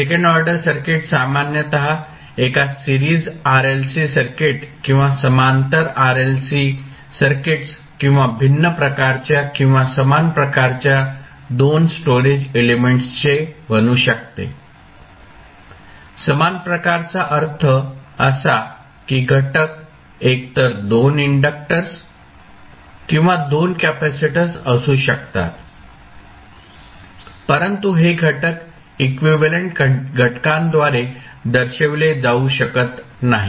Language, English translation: Marathi, So, second order circuits can typically series RLC circuit or parallel RLC circuits or maybe the 2 storage elements of the different type or same type; same type means that the elements can be either 2 inductors or 2 capacitors but these elements cannot be represented by an equivalent single element